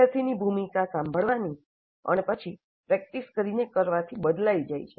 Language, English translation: Gujarati, The role of a student changes from listening and then practicing to learning by doing